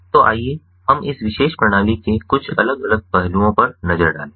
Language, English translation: Hindi, so let us look at some of these different aspects of this particular system